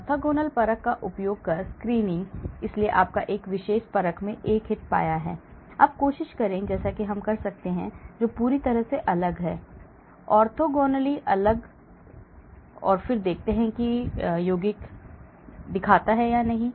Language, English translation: Hindi, screening using orthogonal assay; so you have found a hit in one particular assay, now try and I say which is totally different; orthogonally different and then see whether the compound shows